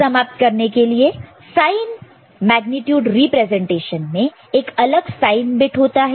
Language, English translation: Hindi, To conclude, sign magnitude representation has a separate sign bit